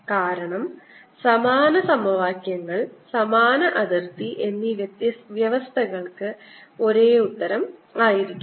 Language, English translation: Malayalam, because similar equation, similar boundary conditions should have the same answer